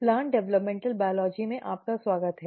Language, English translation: Hindi, Welcome back to Plant Developmental Biology